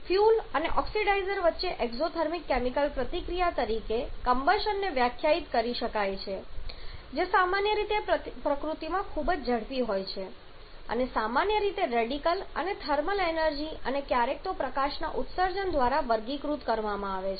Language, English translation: Gujarati, Combustion can be defined as an exothermic chemical reaction between fuel and oxidizer which is an early very rapid in nature and is generally meant is generally characterized by the emission of radicals and thermal energy and sometimes even light